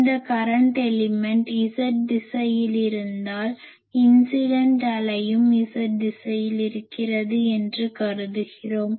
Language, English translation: Tamil, And we assume that this incident wave, this current element is Z directed and incident wave is also Z directed